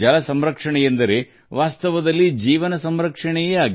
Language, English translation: Kannada, Water conservation is actually life conservation